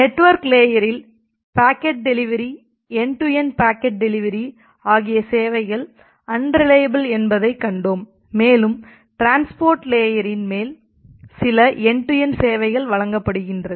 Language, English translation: Tamil, And what we have seen that the packet delivery, the end to end packet delivery at the network layer is unreliable, and the transport layer provide certain end to end services on top of that